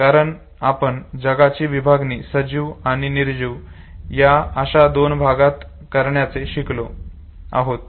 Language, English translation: Marathi, Because we have understood to classify world in terms of living and non living creatures, okay